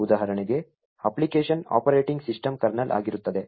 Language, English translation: Kannada, Example, is the application happens to be the operating system kernel